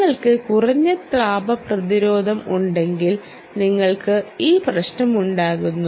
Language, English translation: Malayalam, thermal resistance: if you have a low thermal resistance, you have this problem